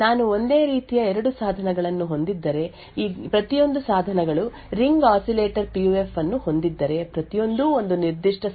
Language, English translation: Kannada, If I have two exactly identical devices, each of these devices having a Ring Oscillator PUF, each would give me a different response for a particular challenge